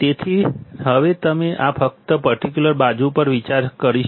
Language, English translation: Gujarati, So, now we will just consider this particular side